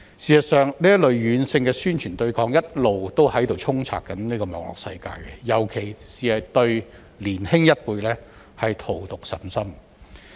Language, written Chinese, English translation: Cantonese, 事實上，這類軟性宣傳對抗一直充斥於網絡世界，尤其是對年輕一輩荼毒甚深。, In fact this kind of soft propaganda and resistance has been pervading the Internet world poisoning the younger generation in particular